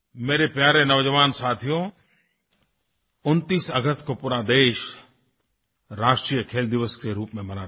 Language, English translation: Hindi, My dear young friends, the country celebrates National Sports Day on the 29th of August